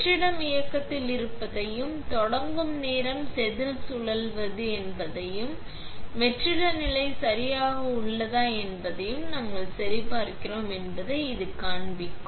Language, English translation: Tamil, This will show us that the vacuum is on, and the time starting, the wafer is rotating, and we are just checking that the vacuum level is ok